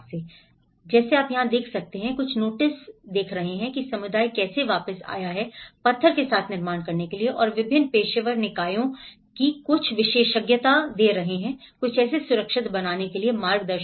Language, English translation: Hindi, But here, you can see some notice that how the community has come back to building with the stone and the different professional bodies are giving some expertise, some guidance on how to build it safer